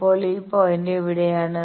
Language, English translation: Malayalam, So, where is this point